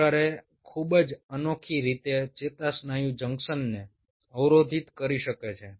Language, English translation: Gujarati, curare can block the neuromuscular junction in a very unique way